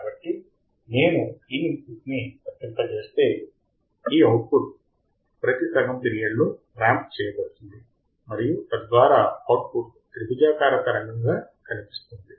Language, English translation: Telugu, So, if I apply this input, the output for each of these half period would be ramped and thus the expected output would be triangular wave